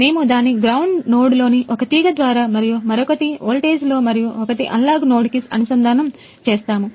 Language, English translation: Telugu, So, we have connected it through one wire on the ground node and other in the voltage and one is the n an analogue node